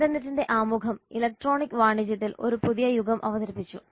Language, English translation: Malayalam, Introduction of internet introduced a new era in the electronic commerce